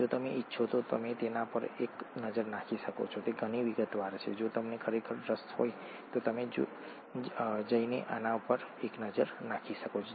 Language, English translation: Gujarati, If you want you can take a look at it, it’s a lot of detail, if you’re really interested you can go and take a look at this